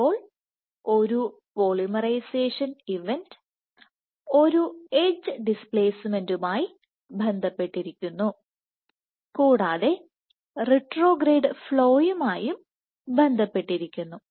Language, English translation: Malayalam, So, a polymerization event is correlated with an edge displacement and correlated with retrograde flow